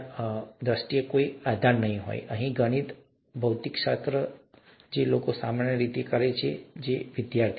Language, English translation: Gujarati, And so there is probably no basis in terms of learning, to place maths here, physics here, which people normally do, our students